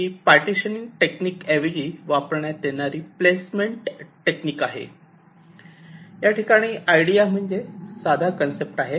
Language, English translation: Marathi, this is a placement technique which replaces partitioning technique, where the idea is very simple in concept